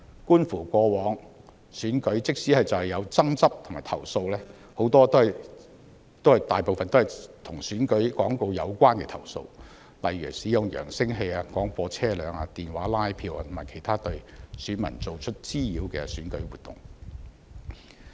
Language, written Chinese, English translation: Cantonese, 觀乎過往的選舉，即使有爭執及投訴，大部分都是與選舉廣告有關的投訴，例如使用揚聲器、廣播車輛、電話拉票或其他對選民造成滋擾的選舉活動。, As reflected by past elections even if there are disputes and complaints most of the complaints were related to election advertisements such as the use of loud - hailers and broadcast vehicles telephone canvassing and other electoral activities that caused nuisances to electors